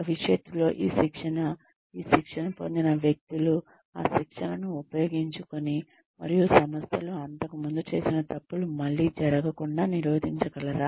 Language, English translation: Telugu, Will the training in future, will people who undergo this training, be able to use that training, and prevent the organization, from making the mistakes, it used to earlier